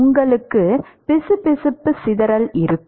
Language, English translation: Tamil, You will have viscous dissipation